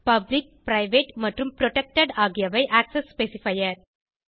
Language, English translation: Tamil, Public, private and protected are the access specifier